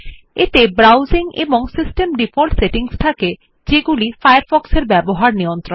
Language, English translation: Bengali, It has Browsing and System Default settings to control the behavior of Firefox